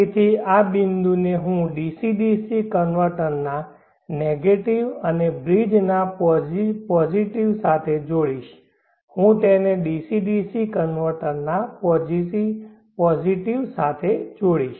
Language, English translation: Gujarati, So this point I will connect it to the negative of the DC DC convertor and the positive of the bridge I will connect it to the positive of the DC DC convertor